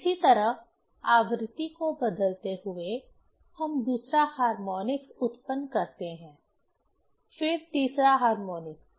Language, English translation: Hindi, Similarly, changing the frequency we are able to generate the 2nd harmonics, then third harmonics